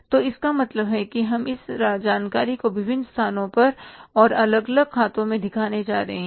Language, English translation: Hindi, So it means we are going to show this information at the different places and for the on the different accounts